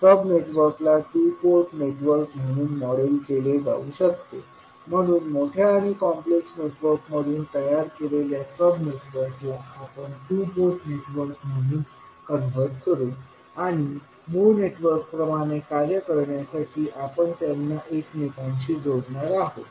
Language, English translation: Marathi, The sub networks can be modelled as two port networks, so the sub networks which we create out of the large and complex network, we will convert them as a two port network and we will interconnect them to perform the original network